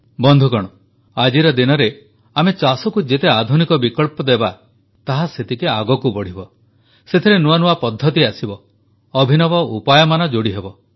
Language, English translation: Odia, Friends, in presenttimes, the more modern alternatives we offer for agriculture, the more it will progress with newer innovations and techniques